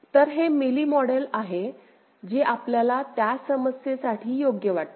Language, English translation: Marathi, So, this is the corresponding Mealy model that you get for the same problem right